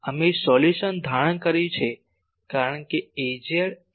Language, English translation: Gujarati, We have assumed the solution as Az is equal to phi by r